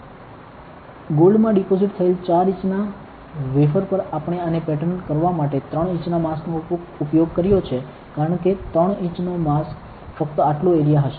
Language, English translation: Gujarati, So, on a 4 inch wafer with deposited with gold we have used a 3 inch mask to pattern this, that is why many of because 3 inch mask will only be this much area